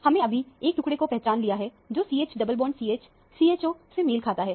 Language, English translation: Hindi, We have now identified a fragment, which corresponds to CH double bond CH – CHO